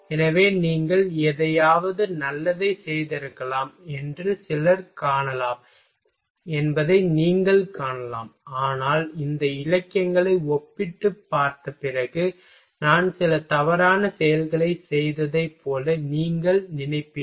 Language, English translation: Tamil, So, you may find that a some may be possible that you have done something good, but after comparing these literatures you will you may think like a I have done some wrong thing